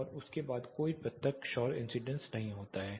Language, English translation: Hindi, And after that there is no direct solar incidence